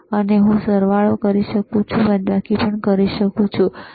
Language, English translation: Gujarati, So now, I can do addition, I can do the subtraction, all right